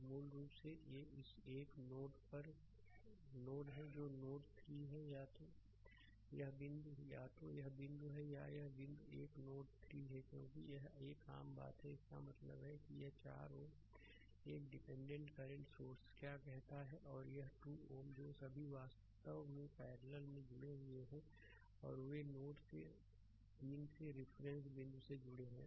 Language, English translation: Hindi, So, basically these are at this is a single node that is node 3 right either this point either this point or this point or this point this is node 3 because it is a common thing; that means, this 4 ohm then this dependent ah what you call that current source and this is 2 ohm all are in actually connected parallel and right they are connected to node 3 to the reference point right